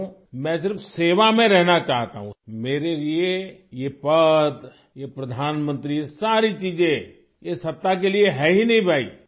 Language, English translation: Urdu, I only want to be in service; for me this post, this Prime Ministership, all these things are not at all for power, brother, they are for service